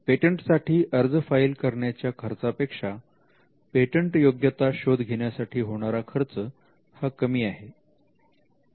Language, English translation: Marathi, The cost of generating a patentability search is much less than the cost of filing a patent application